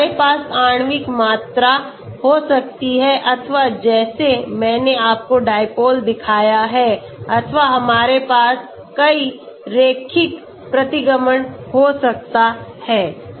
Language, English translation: Hindi, So we can have molecular volume or like I showed you dipole or we can have multiple linear regression